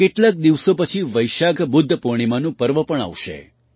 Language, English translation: Gujarati, A few days later, the festival of Vaishakh Budh Purnima will also come